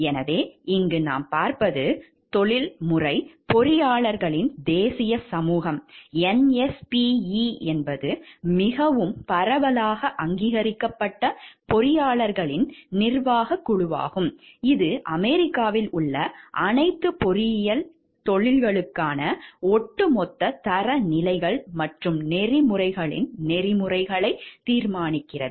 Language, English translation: Tamil, So, what we see over here the national society of professional engineers is most widely recognized governing body of engineers, which decides the overall standards and code of ethics for all engineering professions in US, and serves as a reference point for other bodies in the world